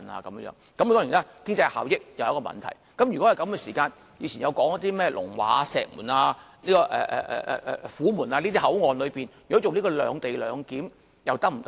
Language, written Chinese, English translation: Cantonese, 當然，經濟效益是一個問題，如果是這樣，以前說過的甚麼龍華、石門、虎門這些口岸，如果進行"兩地兩檢"又是否可行？, Of course economic efficiency is an issue . If this is the case will it be practicable to implement separate location in Longhua Station or Humen Station as mentioned before?